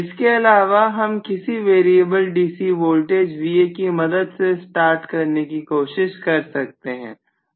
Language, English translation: Hindi, So apart from this I can also try to do starting using variable voltage that is variable DC voltage Va